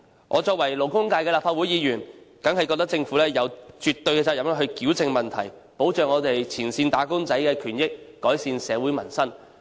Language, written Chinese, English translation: Cantonese, 我作為代表勞工界的立法會議員，當然認為政府有絕對責任矯正問題，保障前線"打工仔"的權益，改善社會民生。, As a Member of the Legislative Council representing the labour sector I certainly hold that the Government is absolutely duty - bound to rectify these problems in order to protect the rights and benefits of frontline wage earners and improve peoples living in society